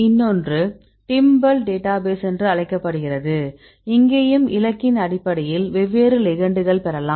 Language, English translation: Tamil, So, is another one is called the timbal database, here also we can get the different ligands based on the target